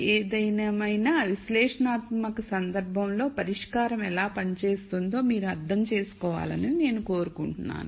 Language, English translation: Telugu, Nonetheless I just want you to understand how the solution works out in an analytical case